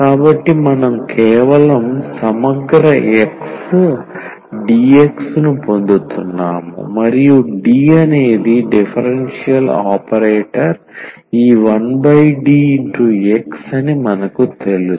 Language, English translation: Telugu, So, we are getting simply the integral X dx and this is what expected we know this that D was a differential operator and this 1 over D operated on X